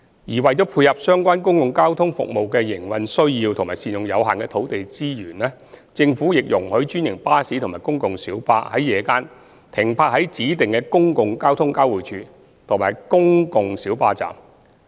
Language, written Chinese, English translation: Cantonese, 而為配合相關公共交通服務的營運需要及善用有限的土地資源，政府亦容許專營巴士及公共小巴在夜間停泊在指定的公共交通交匯處及公共小巴站。, To cater for the operational needs of the relevant public transport services and optimize the use of limited land resources the Government also permits franchised buses and PLBs to park at designated public transport interchanges and PLB stands at night